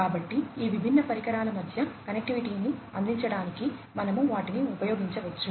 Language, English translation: Telugu, So, we could use them to offer connectivity between these different devices